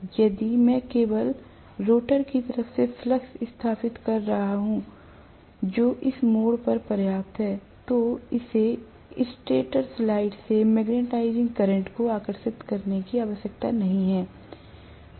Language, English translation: Hindi, So, if I am establishing the flux only from the rotor side, which is sufficient enough at this juncture, it does not have to draw anymore magnetising current from the stator side